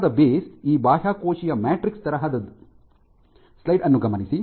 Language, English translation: Kannada, Firm ground is this extracellular matrix like